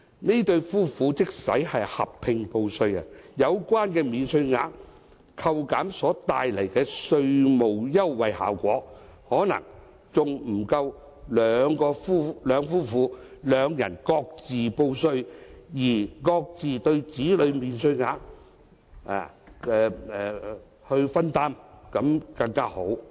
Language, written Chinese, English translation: Cantonese, 這對夫婦即使合併報稅，有關免稅額扣減所帶來的稅務優惠效果，可能還不及夫婦兩人各自報稅、平分子女免稅額的效果為好。, Even if the couple opt for joint assessment the tax concession arising from the tax allowances may not be as desirable as what they can enjoy if they opt for separate taxation and split the child allowance equally